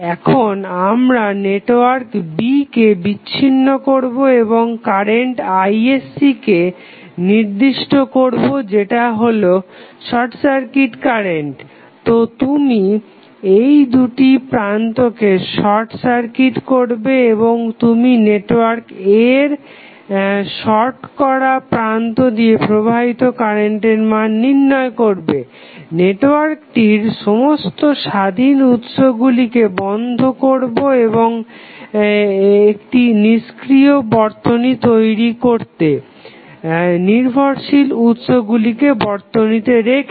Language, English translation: Bengali, Now, we disconnect the network B defined current Isc that is the short circuit current so you will short circuit these 2 terminals right and you find out the value of circuit current flowing through the shorted terminal of network A turnoff or 0 out the every independent source in the network to form an inactive network while keeping the dependent sources in the network